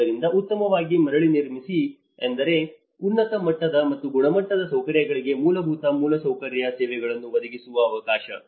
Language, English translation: Kannada, So, this is what the built back better means opportunity to provide basic infrastructure services to high level of quality and amenity